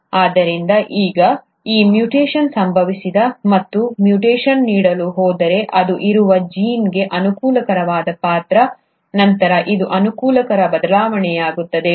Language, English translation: Kannada, So now, this mutation has happened and if this mutation is going to impart a favourable character to the gene in which it is present, then this becomes a favourable variation